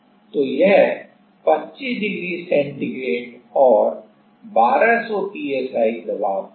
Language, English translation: Hindi, So, it is at 25 degree centigrade and 1200 psi ok